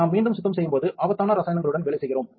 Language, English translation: Tamil, When we are again cleaning we are working with dangerous chemicals